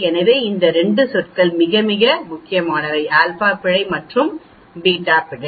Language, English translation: Tamil, So these 2 terms are very, very important when you are deciding on the alpha error and the beta error